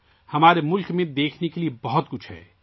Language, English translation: Urdu, There is a lot to see in our country